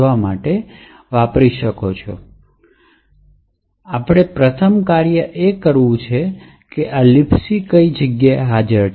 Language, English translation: Gujarati, Okay, so the first thing we need to do is find where libc is present